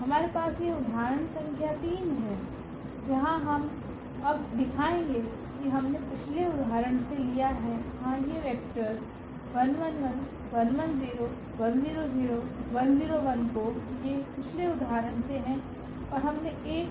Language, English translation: Hindi, We have this example number 3, where we will show now we have taken from the previous example yeah so, these vectors 1 1 1, 1 1 0 and 101 these are from the previous example and we have taken one more that 1 0 0 1 0 1